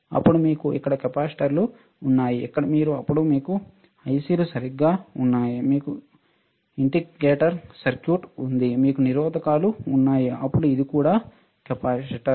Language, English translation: Telugu, Then you have capacitors here, here then you have then you have ICs right, you have indicator circuit, you have resistors can you see resistors, then this is also capacitor